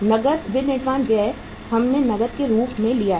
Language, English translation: Hindi, Cash manufacturing expense we have taken as cash